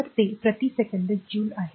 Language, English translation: Marathi, So, joule is equal to watt second